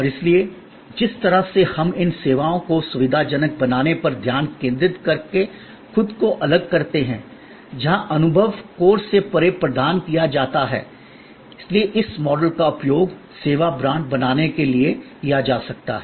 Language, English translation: Hindi, And therefore, the way we distinguish ourselves by focusing on these enhancing and facilitating services where the experience goes beyond it is provided by the core, one can use this model therefore to create the service brand